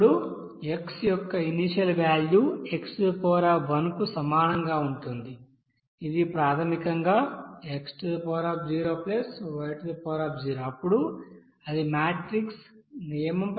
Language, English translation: Telugu, And then next guess of you know initial value of x that will be equals to x, this is basically x + y, then it will be coming as your as per that matrix rule that will be equals to here 0